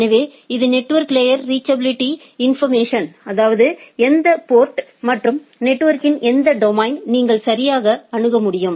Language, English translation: Tamil, So, it is network layer reachability information; that means that which ports and or which domain of the network you can access right